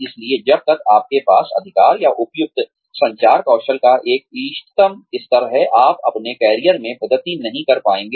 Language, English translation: Hindi, So, unless, you have the right, or an appropriate, an optimum level of communication skills, you will not be able to progress, in your career